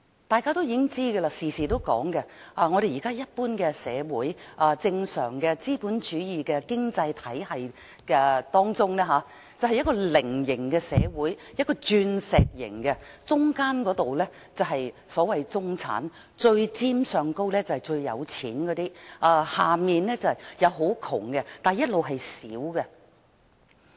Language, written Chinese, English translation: Cantonese, 大家也知道，亦經常提及，一般正常資本主義經濟體系是呈菱形或鑽石形的社會，中間的是中產，上面最尖的是最富有的人，下面則是最貧窮的人，但亦同樣是最小數。, We all know and often say that a normal capitalist economy should be in the shape of a rhombus or diamond . The bulge in the middle should be the middle class . The apex is made up of the wealthiest classes and the bottom tip the poorest people